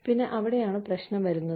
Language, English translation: Malayalam, And, that is where, the problem comes in